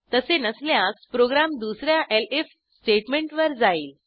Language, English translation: Marathi, If that is not so, then the program will move onto the second elif statement